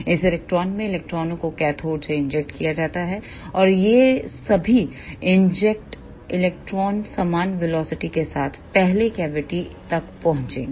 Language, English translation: Hindi, Electrons in this klystron are injected from the cathode, and all these injected electrons will reach to the first cavity with uniform velocity